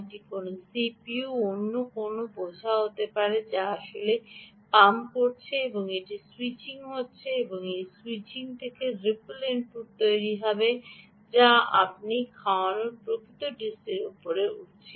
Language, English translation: Bengali, this could be a d s p, this could be another c p u or some other load which is actually pumping and this is switching and that switching is creating a ripple input ah which is riding on top of the ah, actual d c that you have feeding in